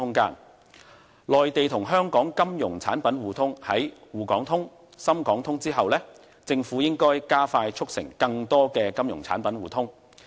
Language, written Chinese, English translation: Cantonese, 談到內地與香港金融產品的互通，政府在"滬港通"、"深港通"之後，應加快促成更多的金融產品互通。, As to the mutual market access for Mainland and Hong Kong financial products after the implementation of the Shanghai - Hong Kong Stock Connect and Shenzhen - Hong Kong Stock Connect the Government should speed up mutual market access for more financial products